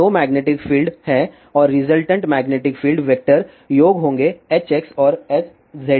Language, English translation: Hindi, So, there are two magnetic fields and the resultant magnetic field will be vector sum of H x and H z